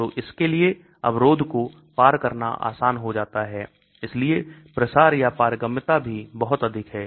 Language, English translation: Hindi, So it is easy for it to penetrate the barrier so diffusion or permeability is also very high